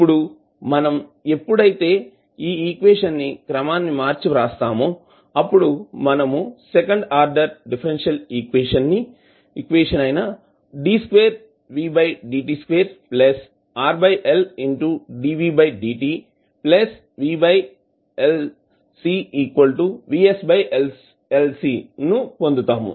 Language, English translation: Telugu, Now when we rearrange then we got the second order differential equation